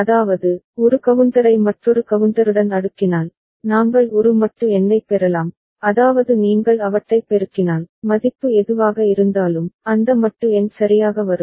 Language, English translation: Tamil, I mean if we cascade one counter with the another counter, we can get a modulo number which is if you just multiply them, then whatever the value, that modulo number will come up ok